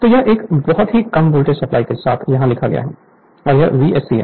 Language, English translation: Hindi, So, it is written here very low voltage supply and this is V s c